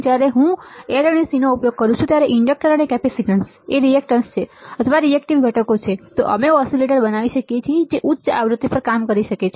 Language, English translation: Gujarati, While if I use L and C that is inductor and capacitance as reactance is or reactive components, then we can design oscillators which can work at higher frequencies right